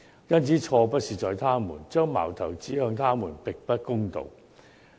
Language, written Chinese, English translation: Cantonese, 因此，錯不在他們，將矛頭指向他們並不公道。, Hence the fault does not lie with them and it is unfair to point an accusing finger at them